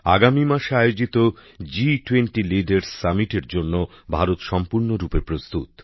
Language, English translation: Bengali, India is fully prepared for the G20 Leaders Summit to be held next month